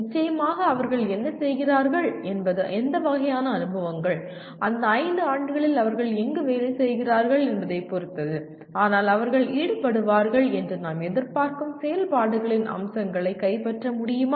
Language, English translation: Tamil, Of course, what they do will depend on what kind of experiences, where they are employed during those 5 years, but can we capture the features of the type of activities we expect them to be involved